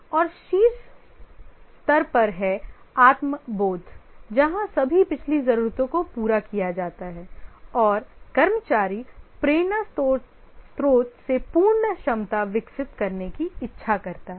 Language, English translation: Hindi, And at the top level is the self actualization where all the previous needs are filled and the employee, the motivation is the desire to develop one's full potential